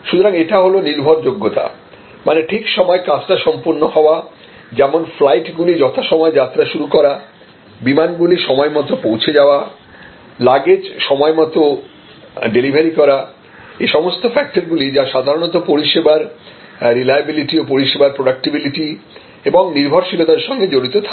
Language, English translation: Bengali, So, that is reliability, performance on time, the flights take off on time, the flights arrive on time, baggage’s are delivered on time, these are all factors that are usually connected to reliability of the service, predictability of the service, you can dependability of the service